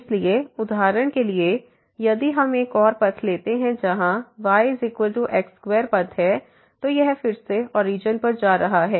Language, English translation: Hindi, So, for example, if we take another path where is equal to square path so, this is again going to 0 to origin